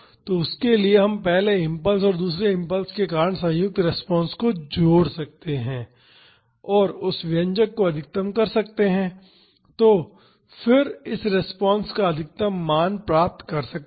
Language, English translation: Hindi, So, for that we can add the combined response due to the first impulse and the second impulse and maximize that expression and then find the maximum value of this response